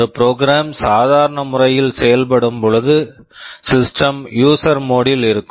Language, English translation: Tamil, When a program is executed normally, we say that the system is in user mode